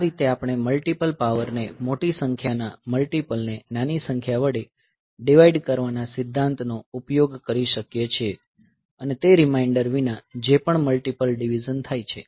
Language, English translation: Gujarati, So, in this way we can using the principle of dividing the multiple power the multiples of the larger number by the smaller number and whichever multiple divides fully with a without reminder